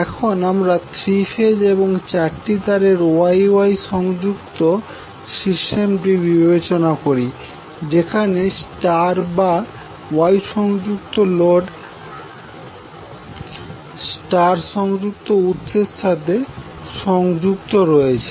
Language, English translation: Bengali, Now let us consider three phase four wire Y Y connected system where star or Y connected load is connected to star connected source